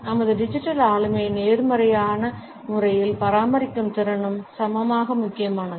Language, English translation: Tamil, And equally important is our capability to maintain our digital personality in a positive manner